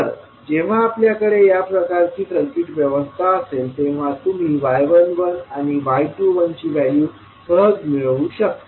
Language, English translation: Marathi, So, when you have this kind of circuit arrangement you will be able to get the values of y 11 and y 21